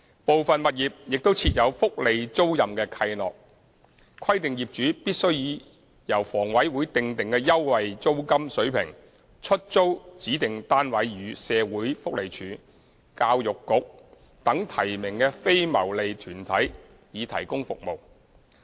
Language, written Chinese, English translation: Cantonese, 部分物業亦設有福利租賃契諾，規定業主必須以由房委會訂定的優惠的租金水平出租指定單位予社會福利署，教育局等提名的非牟利團體以提供服務。, Some properties are also subject to the welfare - letting covenant which requires the owners to lease certain specific units to non - profit making organizations nominated by the Social Welfare Department the Education Bureau etc . at concessionary rent as stipulated by HA for the provision of services